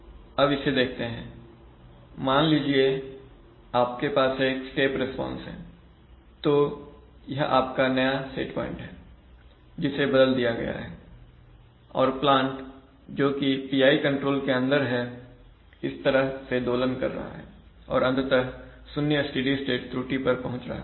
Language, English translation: Hindi, So, suppose you are having, consider the step response, so this is your new set point which has been changed and the plant under PI control is oscillating like this and then finally achieving zero steady state error